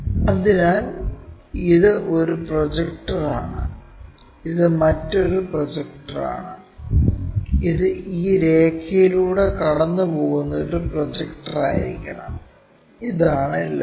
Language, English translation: Malayalam, So, this is one projector other one is this projector, this supposed to be a projector passing through ok, this is the line